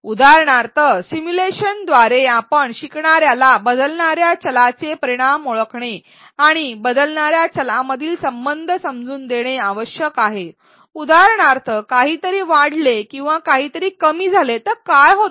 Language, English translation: Marathi, For example, via simulations we should make the learner identify the effects of changing variables understand the relationships between the variables as for example, what happens if something increases or something else decreases